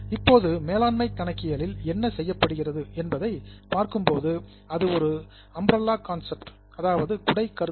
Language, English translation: Tamil, Now what is done in management accounting is it is an umbrella concept